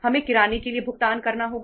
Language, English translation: Hindi, We have to pay for the for the grocery